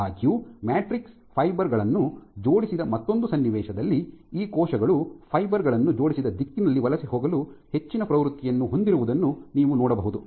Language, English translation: Kannada, However, if you have an if you envision another situation where the matrix fibers are very aligned, then you could see that these cells have a greater put greater tendency to migrate along the direction in which the fibers are aligned